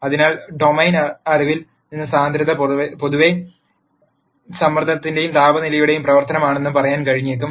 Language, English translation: Malayalam, So, from domain knowledge it might be possible to say that density is in general a function of pressure and temperature